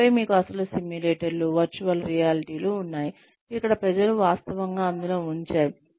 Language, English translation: Telugu, And then, you have the actual simulators, virtual realities, where people are actually put in